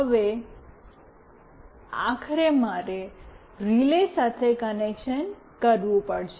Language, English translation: Gujarati, Now, finally I have to make a connection with the relay